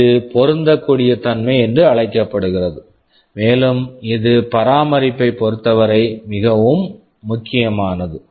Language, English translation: Tamil, This is called compatibility and it is very important with respect to maintainability